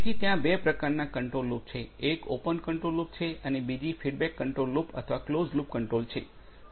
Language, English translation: Gujarati, So, there are two types of control loops; one is the Open loop control; Open loop control rather and the other one is the Feedback control or the Closed loop control